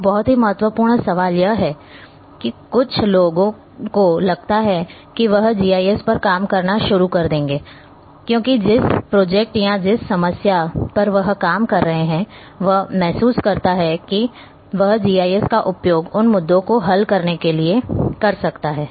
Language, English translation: Hindi, One one very important question comes here that some suppose somebody is looking that a he will start working on GIS, because the project or the problem on which he is working he feels that he can use GIS to solve those issues